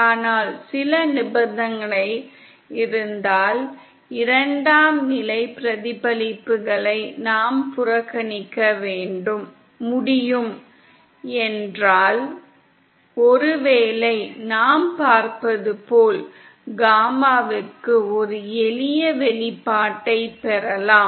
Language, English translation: Tamil, but if we can, if there are certain conditions, where we can neglect the second level reflections, then perhaps, as we shall see, we can obtain a simple expression for gamma in